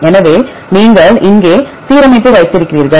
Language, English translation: Tamil, So, you have the alignment here